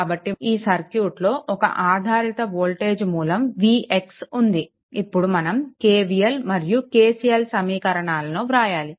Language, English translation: Telugu, So, in this case you have one dependent voltage source v x look, though out this all this equations KVL, KCL all we have studied now right